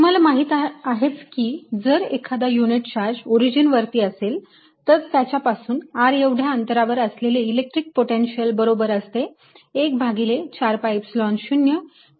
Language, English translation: Marathi, you already know the expression that if i have a unit charge at the origin, then at a distance r from it, potential is given as one over four pi, epsilon zero, q over r